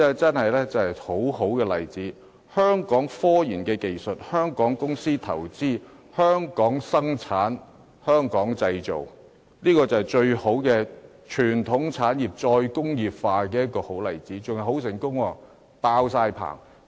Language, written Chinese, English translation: Cantonese, 這是一宗很好的例子，採用香港科研技術、香港公司投資、香港生產及香港製造，是傳統產業"再工業化"的最佳例子，而且還很成功，已有訂單。, This is a very good example of a Hong Kong investment company applying the technologies developed in Hong Kong to manufacture products in Hong Kong . It is the best example of re - industrialization of traditional industries . Moreover it is so successful that orders have already been placed